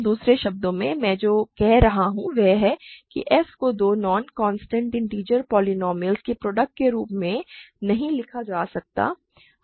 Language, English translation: Hindi, In other words, what I am saying is that f cannot be written as, f cannot be written as a product of two non constant integer polynomials